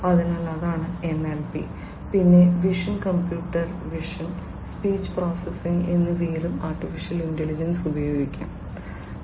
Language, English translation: Malayalam, So, that is NLP, then AI has also found use in vision computer vision, speech processing etcetera